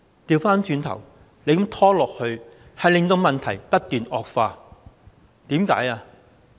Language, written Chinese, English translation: Cantonese, 相反，這樣拖延令問題不斷惡化。, No actually such procrastination takes the problem from bad to worse